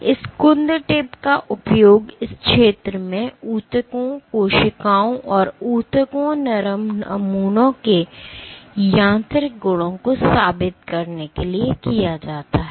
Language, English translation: Hindi, This blunt tip is used exhaustively for proving mechanical properties of tissues, cells and tissues soft samples while this sphere